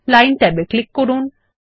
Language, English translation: Bengali, Click the Line tab